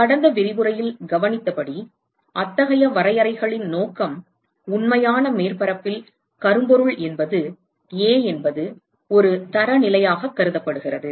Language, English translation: Tamil, As observed in the last lecture the purpose of such definitions is that in a real surface, so, note that blackbody is a is considered as a standard